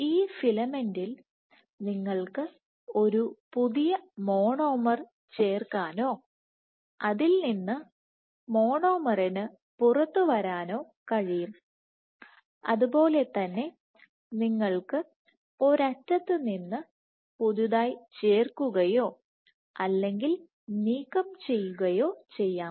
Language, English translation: Malayalam, This filament in this filament you can have a new monomer getting added or coming out of it similarly you can have adhesion or removal from one end